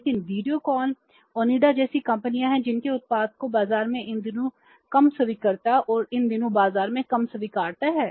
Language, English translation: Hindi, But there are the companies like Videocon, Onida whose products has less acceptability in the market these days